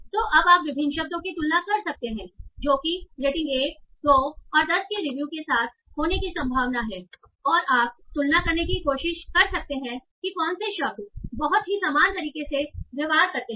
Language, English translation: Hindi, So, this is how you can now compare different words that how likely to occur with reviews of rating 1, 2 and 10 and you can try to compare which words behave in a very similar manner